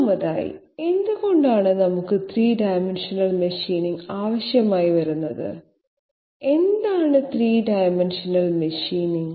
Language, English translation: Malayalam, First of all why do we require 3 dimensional machining and what is 3 dimensional machining after all